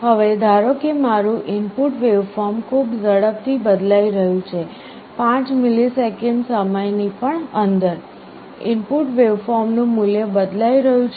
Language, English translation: Gujarati, Now, suppose my input waveform is changing very rapidly, even within the 5 millisecond time the value of the input waveform is changing